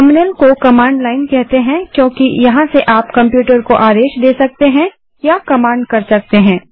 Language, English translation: Hindi, Terminal is called command line because you can command the computer from here